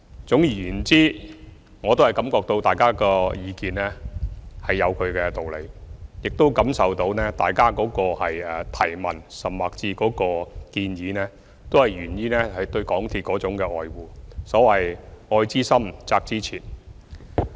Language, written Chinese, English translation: Cantonese, 總而言之，我感覺到大家的意見有其道理，亦感受到大家的提問，甚至建議都源於對港鐵的愛護，所謂"愛之深，責之切"。, All in all I feel that Members views are justified and their questions and even suggestions stem from the love and care for MTR . As the saying goes love well whip well